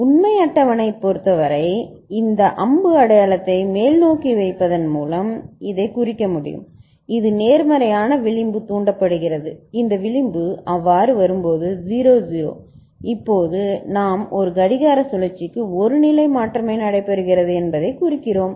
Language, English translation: Tamil, And for the truth table, we can indicate this by putting this arrow mark going upward that it is positive edge triggered and when this edge comes so, 0 0 the now we are indicating that only one state change is taking place per clock cycle it is we are ensuring